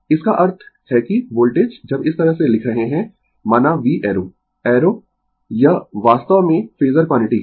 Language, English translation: Hindi, That means voltage when we write this way suppose V arrow, I arrow this is actually phasor quantity, right